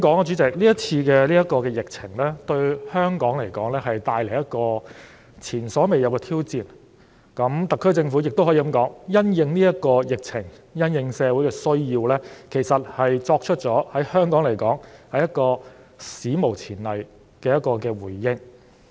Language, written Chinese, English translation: Cantonese, 主席，這次疫情為香港帶來一個前所未有的挑戰，而特區政府因應這次疫情及社會的需要，也作出了史無前例的回應。, President this epidemic has brought exceptional challenges to Hong Kong and the SAR Government has responded to the needs of society in an unprecedented manner